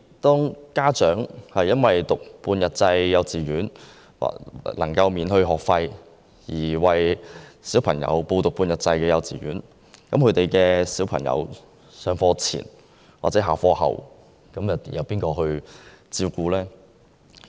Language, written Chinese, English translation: Cantonese, 當家長因為半日制幼稚園免收學費而讓子女入讀，其子女在上課前或下課後，又由誰負責照顧呢？, If parents send their children to half - day kindergartens because no school fees are charged there who are supposed to take care of their children before or after school then?